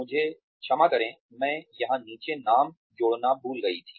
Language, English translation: Hindi, I am sorry I forgot to add the name down here